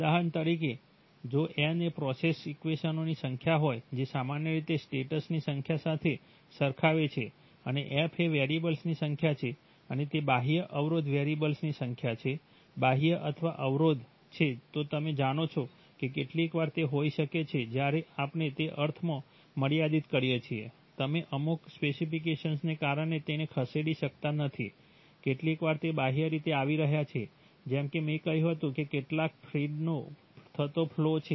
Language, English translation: Gujarati, For example if n is the number of process equations, typically equated to the number of states and f is the number of variables and nd is the number of externally constraint variables, external or constraint, you know, sometimes they maybe, when we constrain the sense that you cannot move them because of certain specifications, sometimes they are externally coming, just like I said the some flow of some feed